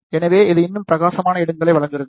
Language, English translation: Tamil, So, it provides even brighter spots